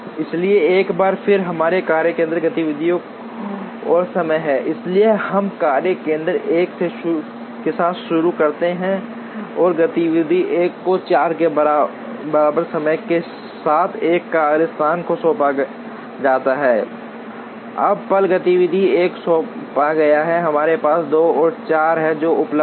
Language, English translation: Hindi, So, once again we have workstation activity and time, so we start with workstation 1 and activity 1 is assigned to workstation 1 with time equal to 4, now the moment activity 1 is assigned we have 2 and 4 that are available